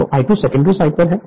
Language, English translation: Hindi, So, I 2 is on the secondary side